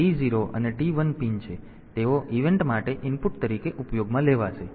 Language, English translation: Gujarati, So, they will be used as input for the event